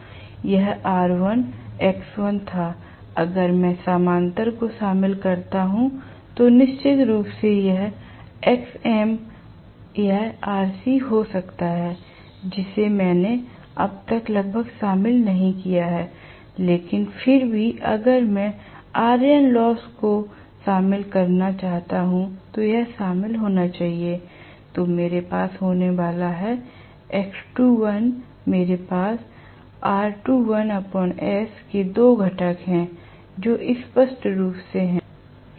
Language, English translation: Hindi, This was R1, X1 if I if I include the parallel, of course, this will be Xm this can be Rc which I have not included almost until now, but nevertheless if I want to include the ion losses, this should be included, then I am going to have X2 dash, I am going to have R2 dash by s which has two components clearly